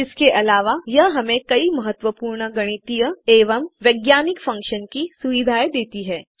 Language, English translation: Hindi, It provides many other important mathematical and scientific functions